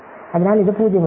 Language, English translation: Malayalam, So, this puts the 0’s